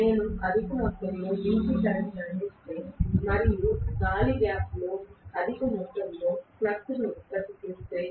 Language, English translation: Telugu, If I provide excessive amount of DC current and produce excessive amount of flux in the air gap